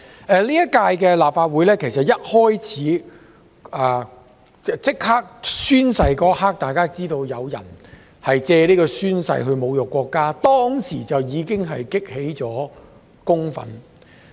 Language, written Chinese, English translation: Cantonese, 其實，在本屆立法會進行宣誓當天，大家便已看到有人藉宣誓侮辱國家，激起公憤。, Actually on the day of oath - taking by Members of the current - term Legislative Council some people were seen insulting our country while taking the Legislative Council Oath and their such acts had triggered public anger